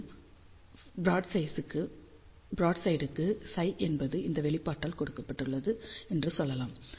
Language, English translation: Tamil, So, again for broadside, we can say psi is given by this expression